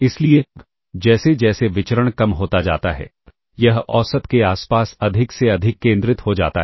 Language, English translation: Hindi, So, as the variance decreases, it becomes more and more concentrated around the mean